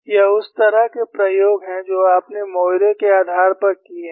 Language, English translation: Hindi, This is the kind of experiments that you have done based on Moiré